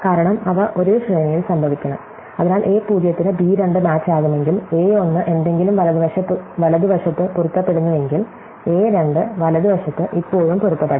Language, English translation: Malayalam, Because, they must occur in the same sequence, so if a 0 match to b 2, a 1 something match into the right, a 2 must match something still for the right and so on